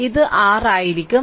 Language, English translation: Malayalam, It will be 6